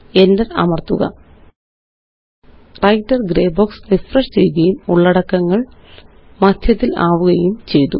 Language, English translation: Malayalam, Press enter Notice the Writer gray box has refreshed and the contents are centered